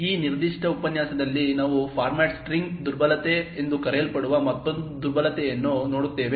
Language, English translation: Kannada, In this particular lecture we will look at another vulnerability which is known as the Format String vulnerability